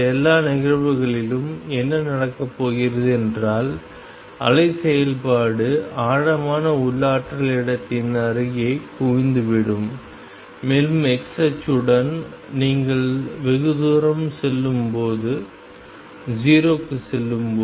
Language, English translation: Tamil, In all these case what is going to happen is that the wave function is going to be concentrated near the origin of where the potential is deepest and go to 0 as you reach distance very far along the x axis